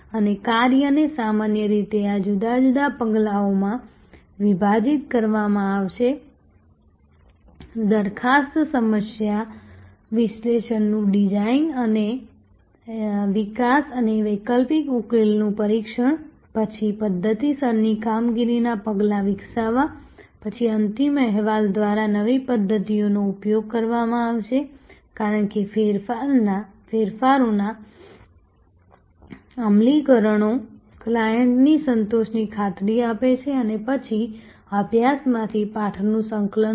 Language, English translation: Gujarati, That work will be divided usually in these different steps proposal problem analysis design and develop and test alternative solution, then develop systematic performance measures, then deploy the new methods through a final report as the implementations are done of the changes assure client satisfaction and then, compile the lessons from the study